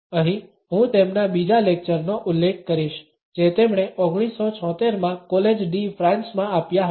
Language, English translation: Gujarati, Here, I would refer to his second lecture which he had delivered in College de France in 1976